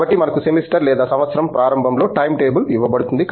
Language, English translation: Telugu, So, we have a time table that is given at the beginning of the semester or a year